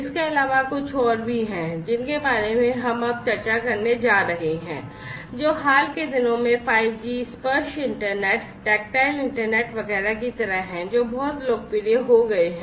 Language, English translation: Hindi, Plus there are few others that we are going to discuss now, which are like 5G tactile internet etcetera which have become very popular, in the recent times